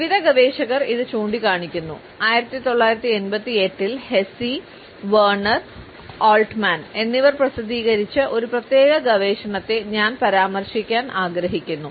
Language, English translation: Malayalam, This has been pointed out by various researchers, I would refer to a particular research which was published in 1988 by Hesse, Werner and Altman